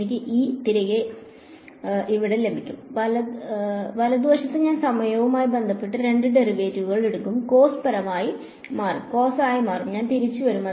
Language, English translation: Malayalam, I will get E back over here, right hand side I will take two derivatives with respect to time; cos will become sin will become cos I will get back cos right